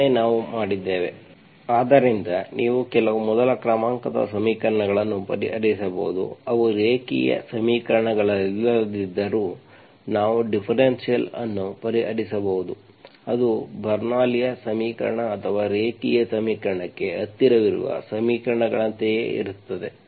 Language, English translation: Kannada, That is what we have done, so like this you can solve some of the, some of the first order equations that does, that does not, even though they are not linear equations we can solve differential it is like, it is like Bernoulli s equation or equations that are close to linear equation